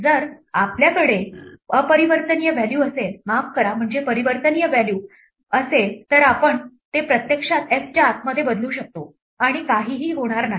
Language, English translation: Marathi, If we have an immutable value, I mean mutable value sorry, then we can actually change it inside f and nothing will happen